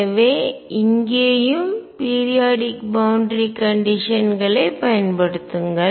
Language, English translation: Tamil, So, use periodic boundary conditions